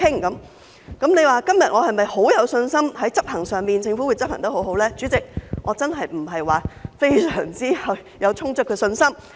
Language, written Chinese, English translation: Cantonese, 如果問我今天是否十分有信心，政府在執行上會做得很好，代理主席，我真的不是有非常充足的信心。, If I am asked whether I am very confident that the Government will do a good job in implementation Deputy President I really do not have enough confidence